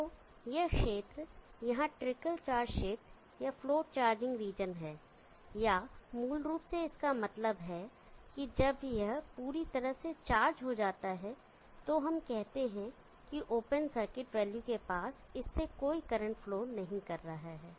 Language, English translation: Hindi, So this region here is the trickle charge region or the float charging region or it is basically means is that when it is completely charged let us say near the open circuit value there is no current flowing through it the movement